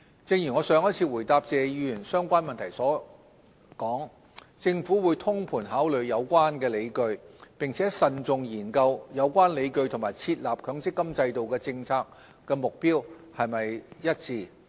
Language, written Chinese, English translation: Cantonese, 正如我上一次回答謝議員相關問題時所說，政府會通盤考慮有關理據，並慎重研究有關理據與設立強積金制度的政策目標是否一致。, As I mentioned in my reply to Mr TSEs related question last time the Government will consider all relevant justifications holistically and study carefully whether they are congruous with the policy objectives of establishing the MPF System